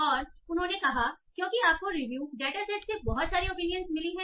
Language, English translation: Hindi, And they said, okay, because you got a lot of opinions from review data set